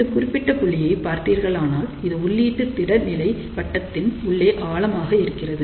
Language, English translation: Tamil, So, you can actually see that this particular point is deep inside the input stability circle